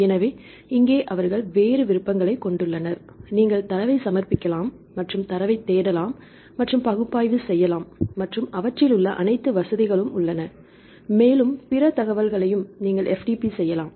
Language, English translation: Tamil, So, here they have a different options, you can submit the data and you can search and analyze the data and all they have the facilities and also you can FTP other information right